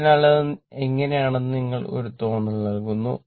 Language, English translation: Malayalam, So, just to give you a feeling that how it is